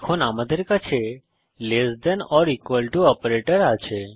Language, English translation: Bengali, Now we have the less than or equal to operator